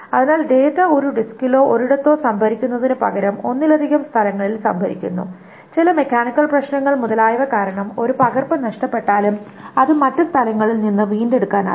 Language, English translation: Malayalam, So instead of storing the data in only one disk or one place, it is stored in multiple places such that even if one copy is lost due to some mechanical problem, etc